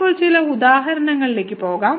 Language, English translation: Malayalam, Let us go to some examples now